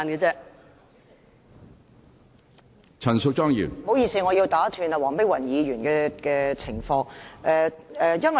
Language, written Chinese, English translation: Cantonese, 主席，不好意思，我要打斷黃碧雲議員的發言。, Excuse me President for I have to interrupt Dr Helena WONG